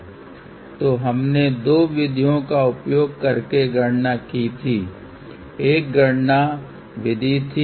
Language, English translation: Hindi, So, we had done the calculation using two method; one was the calculation method